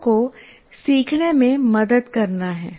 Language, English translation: Hindi, Is to help people learn